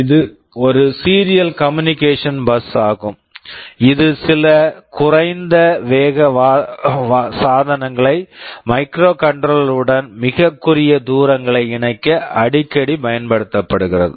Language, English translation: Tamil, This is a serial communication bus that is very frequently used to connect some low speed devices to a microcontroller over very short distances